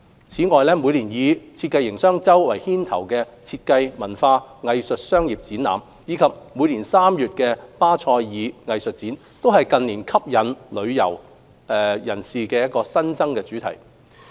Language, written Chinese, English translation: Cantonese, 此外，每年以設計營商周為牽頭的設計、文化、藝術商業展覽，以及每年3月的巴塞爾藝術展，都是近年吸引旅客的新增主題。, In addition the annual business event featuring design culture and art under Business of Design Week and Art Basel held in March are new offerings rolled out in recent years to attract tourists